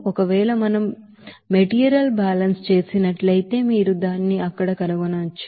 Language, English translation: Telugu, If we do the material balance you can find it out there